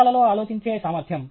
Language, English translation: Telugu, Ability to think in images